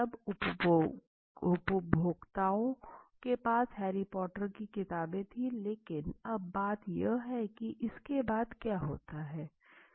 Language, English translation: Hindi, Now they were all the consumers have Harry Potter books but now the point is after this what happen